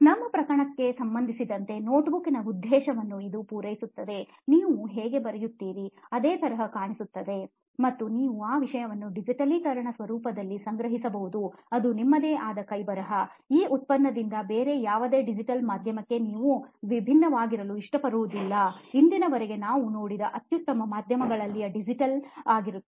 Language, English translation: Kannada, For example for our case it is serving the purpose of a notebook, it is giving you the exact similar experience of how you write and you are getting that you can store that thing in a digitised format whichever you right you know it is in your own handwriting, you do not have to like differ from this product to any other digital medium, even the best mediums that we see around till today they are still digital, they do not give you the real time experience after writing